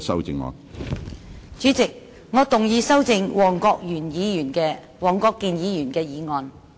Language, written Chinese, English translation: Cantonese, 主席，我動議修正黃國健議員的議案。, President I move that Mr WONG Kwok - kins motion be amended